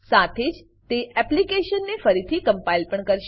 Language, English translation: Gujarati, It will also recompile the application